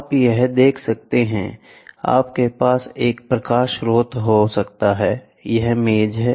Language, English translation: Hindi, You can see here, this is the, you can have a light source; this is the table this is a table